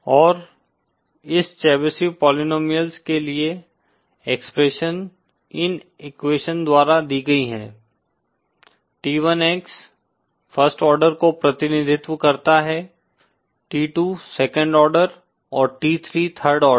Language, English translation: Hindi, And the expression for this Chebyshev polynomial is given by these equations T1X represents the first order, T2 the second order and then T3 the third order